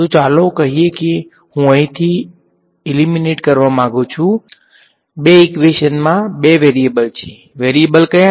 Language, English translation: Gujarati, So, lets say I want to eliminate from here there are two equations in two variables right what are the variables